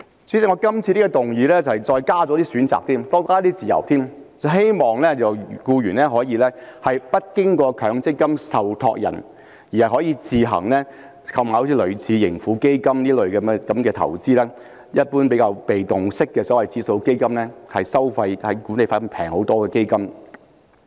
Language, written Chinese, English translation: Cantonese, 主席，我今次在修正案中再加入一些選擇，提供更大的自由，希望僱員可以不經強積金受託人，自行購買類似盈富基金這些被動式指數基金作為投資，而這類基金的管理費是便宜很多的。, President I have added several more options in my amendment this time in order to give everyone more freedom and I hope that employees can subscribe to passive index funds such as the Tracker Fund of Hong Kong on their own without involving any MPF trustees whereas these funds charge much lower management fees